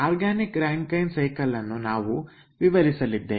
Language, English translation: Kannada, organic rankine cycle we are going to describe